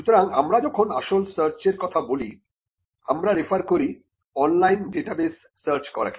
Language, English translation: Bengali, So, in practice when a search is being done we are referring to searching online databases